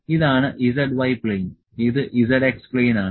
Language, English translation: Malayalam, This is z y plane, this is z x plane